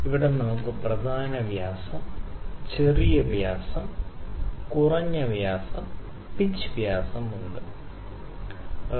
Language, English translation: Malayalam, Here we have the major dia, the minor dia, the minimum dia and we have pitch diameter, ok